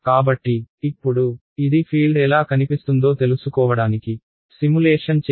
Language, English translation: Telugu, So now, this is a simulation which was done to find out what the field looks like ok